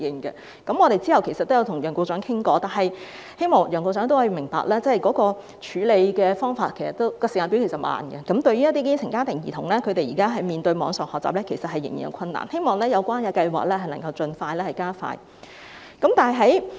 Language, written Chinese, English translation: Cantonese, 其後，我們曾與楊局長討論，我希望楊局長明白，政府處理問題的時間表其實頗慢，一些基層家庭兒童現時在網上學習方面仍然有困難，我希望有關計劃能盡量加快落實。, Subsequently we had a discussion with Secretary Kevin YEUNG . I hope Secretary Kevin YEUNG will understand that the Governments timetable for handling the problems is actually quite slow . Currently some children in grass - roots families still have difficulties in online learning